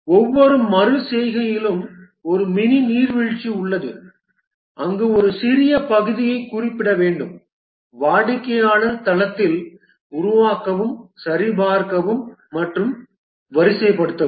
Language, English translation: Tamil, In each iteration is a mini waterfall where need to specify a small part, develop, validate and deploy at the customer site